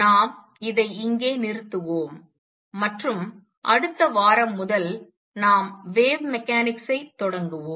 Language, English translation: Tamil, And we stop here on this, and next week onwards we start on wave mechanics